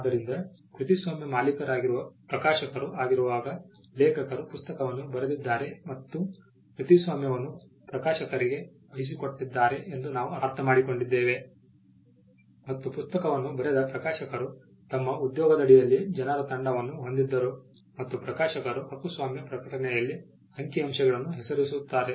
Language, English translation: Kannada, So, when it is the publisher who is the copyright owner then we understand that as a case of the author having written the book and having assigned the copyright to the publisher or the publisher had a team of people under his employment who wrote the book and the publishers name figures in the copyright notice